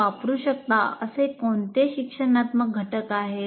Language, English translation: Marathi, And what are the instructional components that we use